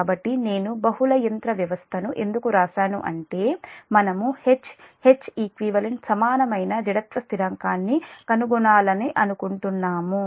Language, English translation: Telugu, so why i have written: multi machine system means what we want to just find out the equivalent inertia constant, that h, h, e, q